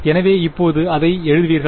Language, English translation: Tamil, So, how will you write that now